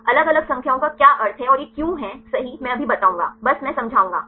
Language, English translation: Hindi, What is the meaning of the different numbers and why this is one right I will now, just I will explain